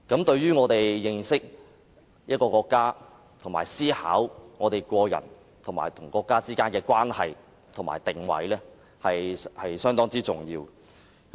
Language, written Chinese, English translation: Cantonese, 對於我們認識國家，以及思考個人與國家之間的關係和定位，是相當重要的。, It is very important for us to understand our country and mull over the relations and positioning between us as individuals and our country